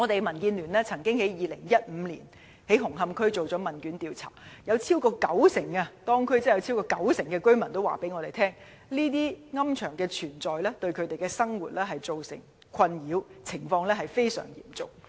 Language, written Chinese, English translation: Cantonese, 民主建港協進聯盟曾在2015年在紅磡區進行問卷調查，當中有超過九成居民表示，私營龕場的存在對他們的生活造成困擾，而且情況非常嚴重。, The Democratic Alliance for the Betterment and Progress of Hong Kong DAB conducted a questionnaire survey in Hung Hom in 2015 . It was found that over 90 % of the residents said that private columbaria posed great nuisances to their daily lives and the situation was very serious